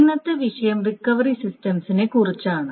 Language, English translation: Malayalam, So, today's topic is on recovery systems